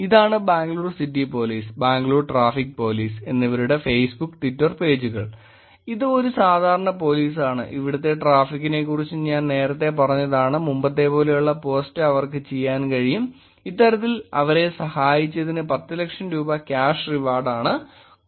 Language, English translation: Malayalam, This is Bangalore City Police, Bangalore Traffic Police, Facebook and Twitter page, this is a typical police I told you about traffic earlier the other post that they could do is something like this which is cash reward of Rupees 10 lakh for helping them